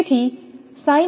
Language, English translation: Gujarati, So, it is 0